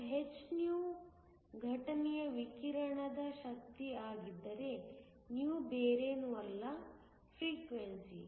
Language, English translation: Kannada, And if hυ is the energy of the incident radiation υ is nothing but, the frequency